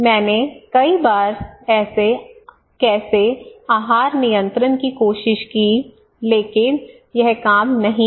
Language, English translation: Hindi, But tell me how I tried many times I did diet control it did not work